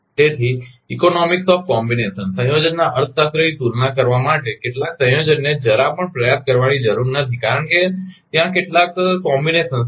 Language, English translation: Gujarati, So, for comparing the economics of combination as certain combination need not be tried at all because, there are certain combinations